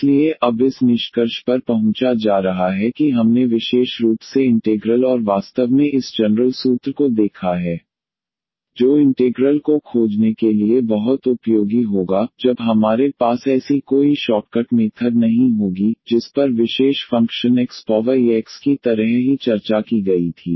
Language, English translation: Hindi, So, coming to the conclusion now that we have seen the particular integral and indeed this general formula which will be very useful to find the integral when we do not have such a shortcut method which was discuss just like special functions x power e x